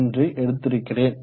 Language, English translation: Tamil, 1 what I have taken